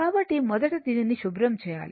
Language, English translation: Telugu, So, first let me clear it